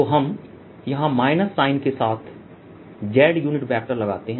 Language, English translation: Hindi, so let us put z unit vector with the minus sign here